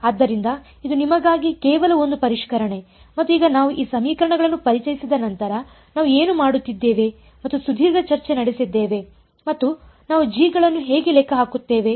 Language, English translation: Kannada, So, this is just a revision for you and now the after we introduced these equations what did we do we went and had a long discussion how do we calculate g’s ok